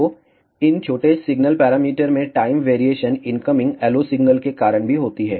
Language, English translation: Hindi, So, the time variation in these small signal parameters is also caused by the incoming LO signal